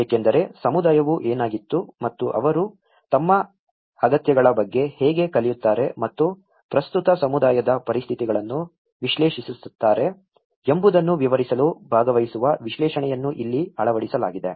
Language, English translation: Kannada, Because this is where the participatory diagnosis have been implemented to describe the community what the community was and how they are learn about their needs and analysing the current community situations